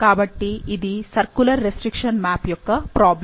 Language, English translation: Telugu, So, this is a problem for a circular restriction map